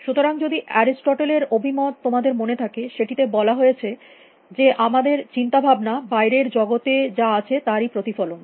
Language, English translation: Bengali, So, if you remember the view from Aristotle, it said that our thoughts are our reflection of what is out there